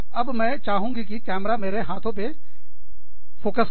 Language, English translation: Hindi, Now, i would like the camera to focus, on my hands